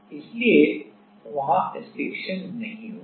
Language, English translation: Hindi, So, stiction will not happen there